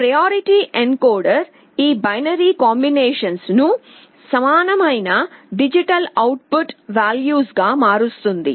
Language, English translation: Telugu, The priority encoder will be converting these binary combinations into equivalent digital output values